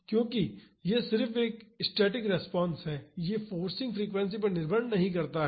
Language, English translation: Hindi, Because this is just a static response it does not depend upon the forcing frequency